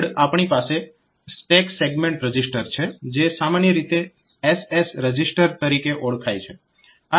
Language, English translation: Gujarati, Next we have the stack segment register which is commonly known as the SS register